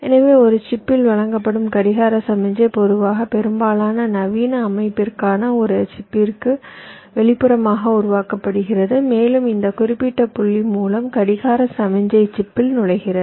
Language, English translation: Tamil, so the clock signal which is fed to a chip typically it is generated external to a chip for most modern system, and this particular point through which the clock signal enters the chip, so we refer to as a clock pin